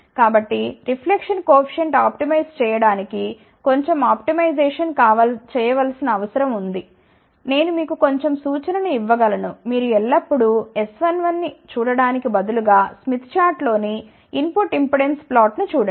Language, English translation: Telugu, So, little bit of optimization has to be done to optimize the reflection coefficient, I can give you little bit of a hint instead of always looking at S 1 1 try to look at the input impedance plot on this mid chart